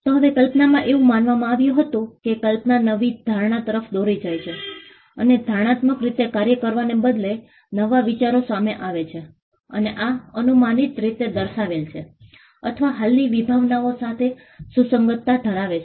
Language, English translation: Gujarati, Now, imagination it was believed that imagination led to new ideas and the new ideas came up because of operating in predictable ways and this predictable way mapped or had relevance to existing concepts